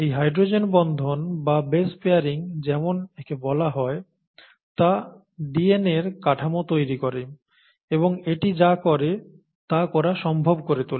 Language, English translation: Bengali, So this hydrogen bond formation or base pairing as it is called, is what gives DNA its structure and it makes it possible to do what it does